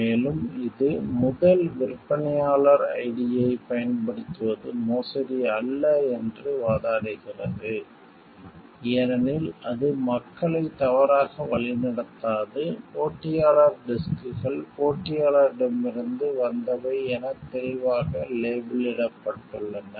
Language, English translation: Tamil, Moreover it argues that using first vendor ID is not forgery, because it does not mislead people, competitor disks are clearly labeled as coming from competitor